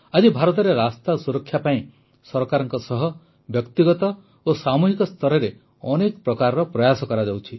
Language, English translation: Odia, Today, in India, many efforts are being made for road safety at the individual and collective level along with the Government